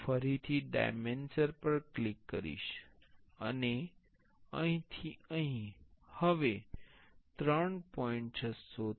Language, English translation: Gujarati, I will click on the dimension again, and from here to here now it is 3